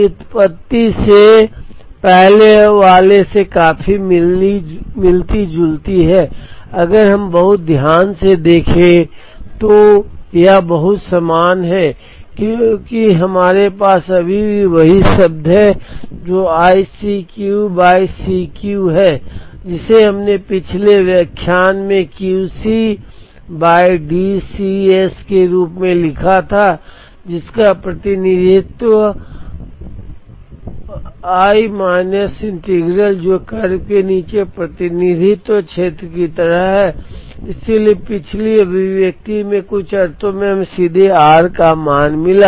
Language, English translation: Hindi, This derivation is quite similar to the earlier one, if we see very carefully it is very similar because, we still have that same term i C Q by D C s, which we wrote in the previous lecture as Q C c by D C s, Which represented 1 minus integral which is kind of represented area under the curve, so in the some sense in the previous expression we got the value of r directly from this